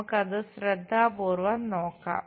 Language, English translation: Malayalam, Let us carefully look at it